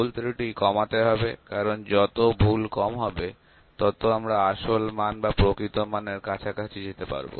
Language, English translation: Bengali, The errors are to be reduced, if the errors are minimum, our readings are very close to the original or the true value